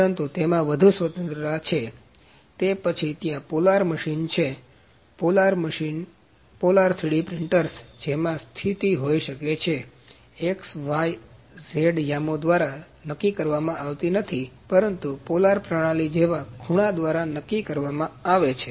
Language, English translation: Gujarati, But there is more freedom in that then the polar machine is there, polar machine, the polar 3D printers in the in that the positioning is no determined by x y and z coordinates, but by an angle like the polar coordinate system